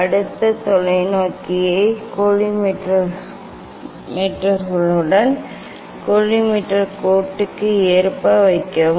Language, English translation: Tamil, Next, place the telescope in line with the collimator line with the collimators